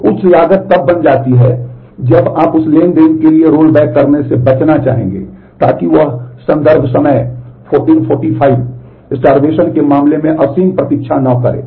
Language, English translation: Hindi, So, higher that cost becomes then you would like to avoid doing the rollback for that transaction because so that it does not wait infinitely in terms of starvation